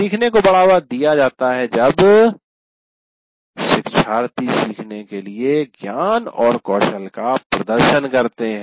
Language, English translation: Hindi, And learning is promoted when learners observe a demonstration of the knowledge and skill to be learned